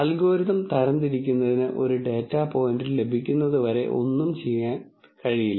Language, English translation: Malayalam, Nothing is done till the algorithm gets a data point to be classified